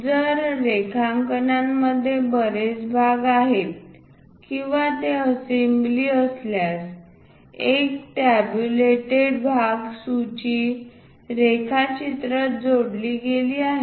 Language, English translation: Marathi, If the drawing contains a number of parts or if it is an assembly drawing a tabulated part list is added to the drawing